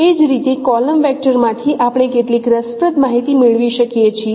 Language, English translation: Gujarati, Similarly from the column vectors we can get some interesting information